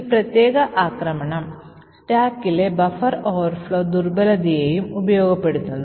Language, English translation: Malayalam, So, this particular attack also exploits a buffer overflow vulnerability in the stack